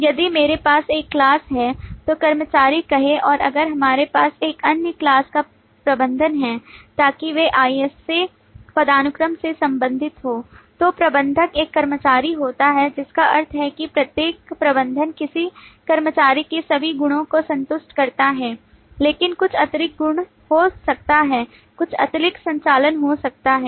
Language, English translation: Hindi, And finally, if the visibility is protected, then we have something in between this: If I have one class, say employee, and if we have another class, say manager, so that they are related by on a IS A hierarchy, that manager is a employee, which means that every manager satisfy all the properties of an employee but may have some additional properties, some additional operations